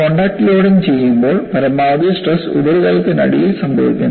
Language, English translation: Malayalam, In the contact loading the maximum stresses occurs beneath the surface